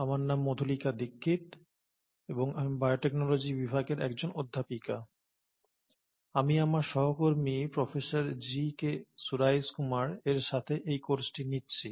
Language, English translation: Bengali, My name is Madhulika Dixit and I am a faculty at Department of Biotechnology, and I am taking this course along with my colleague, Professor G K Suraish kumar